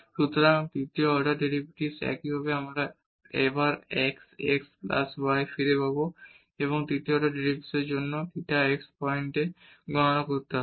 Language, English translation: Bengali, So, the third order derivatives similarly we will get back to again the sin x plus y and for the third order derivative we need to compute at theta x point